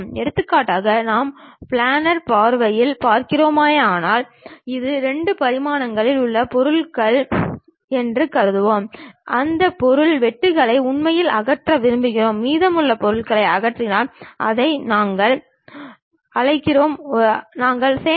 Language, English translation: Tamil, For example, if we are looking it in the planar view, let us consider this is the object what we have in 2 dimension, we want to really remove that material cut, remove the extra remaining material if we do that we call that one as chamfer